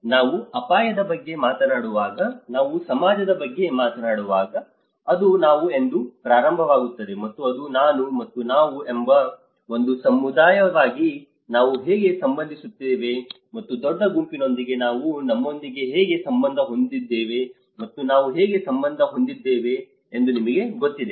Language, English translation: Kannada, So, when we talk about the risk, when we talk about the society, it starts with I, and it is I and how we relate to the we as a community and how we relate to our with a larger group and how we are relating to your you know